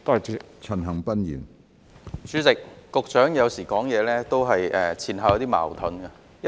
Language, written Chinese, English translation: Cantonese, 主席，局長有時候說話有點前後矛盾。, President sometimes the Secretary is a bit inconsistent in what he says